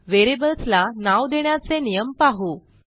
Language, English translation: Marathi, Now let us see the naming rules for variables